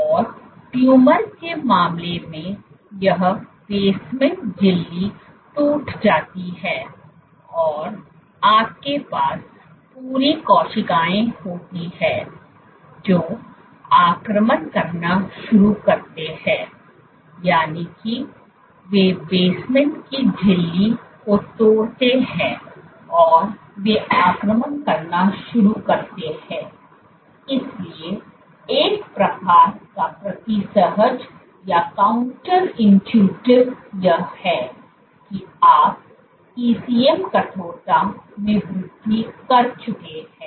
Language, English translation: Hindi, And in case of tumor, this basement membrane gets breached and you have the entire cells, they start to invade, they breach the basement membrane and they start to invade; so, one kind of counterintuitive this that you have increased in ECM stiffness